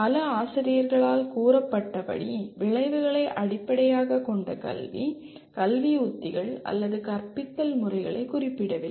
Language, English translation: Tamil, Outcome based education as thought are stated by several teachers does not specify education strategies or teaching methods